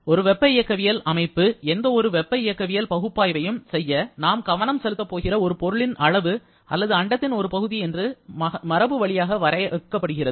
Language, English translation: Tamil, A thermodynamic system is classically defined as a quantity of matter or a region in space where we are going to focus to perform any kind of thermodynamic analysis